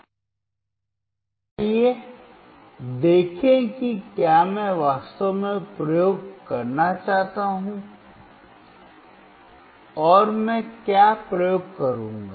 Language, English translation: Hindi, So, let us see if I really want to perform the experiment, and what experiment I will do